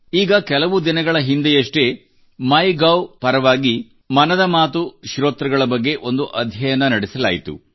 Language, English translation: Kannada, Just a few days ago, on part of MyGov, a study was conducted regarding the listeners of Mann ki Baat